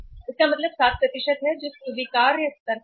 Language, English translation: Hindi, It means 7% which is at the acceptable level